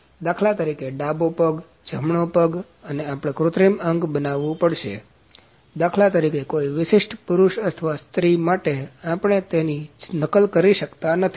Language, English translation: Gujarati, For instance left leg, right leg and we have to fabricate artificial limbs for instance; for a particular man or lady and we are not able to copy